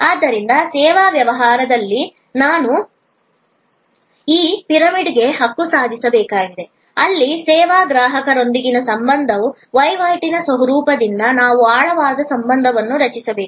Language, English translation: Kannada, So, that is why in service business, we have to claim this pyramid, where from transactional nature of relation with the service consumer, we have to create a deeper relationship